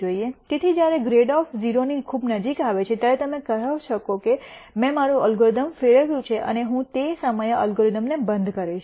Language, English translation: Gujarati, So, when grad f becomes very close to 0 then you could say I have converged my algorithm and I am going to stop the algorithm at that point